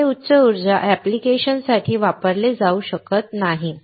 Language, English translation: Marathi, it cannot be used for high power applications